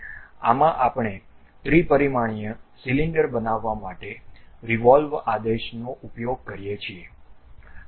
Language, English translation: Gujarati, In this, we use a revolve command to construct three dimensional cylinder